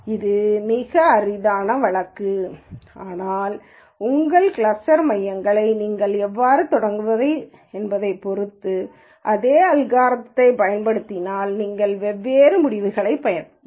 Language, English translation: Tamil, So, this is a very trivial case, but it just still makes the point that if you use the same algorithm depending on how you start your cluster centres, you can get different results